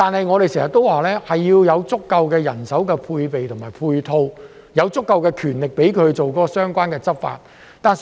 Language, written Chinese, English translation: Cantonese, 我們經常說，要有足夠的人手配備和配套，有足夠的權力作出相關執法。, We often talk about the need to have adequate staffing and support to go with adequate power for law enforcement